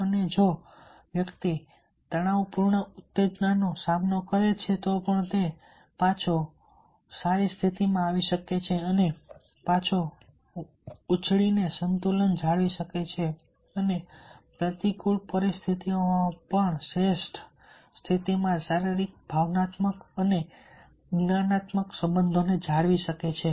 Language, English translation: Gujarati, and even if the individual process, the stressful stimuli, he can bounce back and he came bound back and maintain the balance, maintain the physical, emotional and cognitive resources in a optimal conditions, even in adverse situations